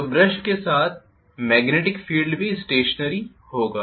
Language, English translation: Hindi, So brushes are stationary the magnetic field will also be stationary